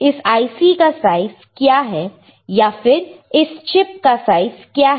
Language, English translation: Hindi, What is the size of the chip or size of this IC